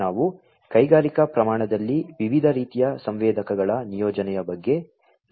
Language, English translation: Kannada, We have talked about the deployment of different types of sensors, in industrial scale